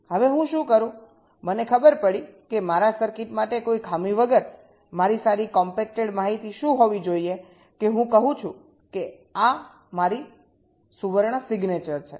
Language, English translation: Gujarati, i find out that for my circuit, without any fall, what should be my good compacted information, that i say this is my golden signature, this is my golden signature